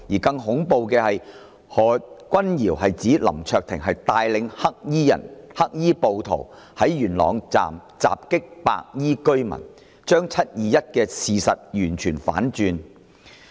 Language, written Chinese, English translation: Cantonese, 更恐怖的是，何君堯議員指是林卓廷議員帶領黑衣人、黑衣暴徒於元朗站襲擊白衣居民，將"七二一"的事實完全反轉。, What is more dreadful is Dr Junius HOs accusation that Mr LAM Cheuk - ting was the leader of those black - clad people or black - clad rioters in their attack on white - clad residents at Yuen Long Station